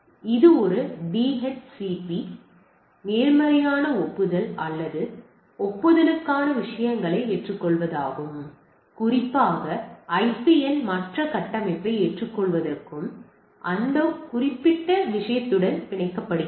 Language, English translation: Tamil, And this a DHCP positive acknowledgement or acknowledgement to accept the things and go in that particular accepting the IPN other configuration at gets bind with that particular thing